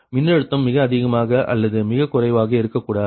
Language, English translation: Tamil, right, the voltage should be neither too high nor too low